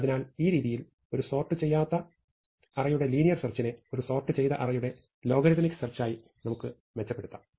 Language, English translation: Malayalam, So, we have gone from a linear search in the case of an unsorted array to a logarithmic search in the case of a sorted array